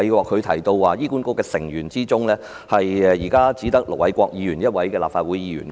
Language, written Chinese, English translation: Cantonese, 他提到目前醫管局大會成員中，只有盧偉國議員一位立法會議員。, The point he raised is that currently there is only one Legislative Council Member Ir Dr LO Wai - kwok among the HA Board members